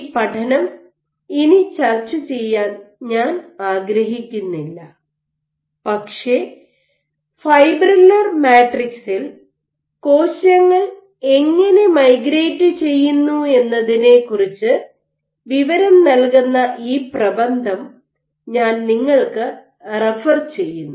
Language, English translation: Malayalam, I do not want to discuss this study anymore, but I refer you to this paper it would give you insight as to how cells migrate on fibrillar matrices